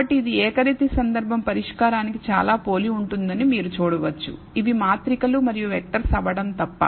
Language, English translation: Telugu, So, you can see the it is very very similar to the solution for the univariate case except that these are matrices and vectors and therefore, you have to be careful